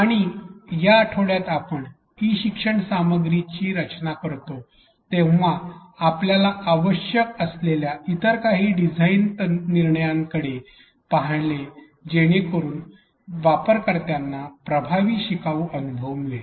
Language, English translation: Marathi, And in this week, in week 4 we looked at some of the other design decisions that we have to make that are needed in fact, when we design e learning content so that the users undergo an effective learner experience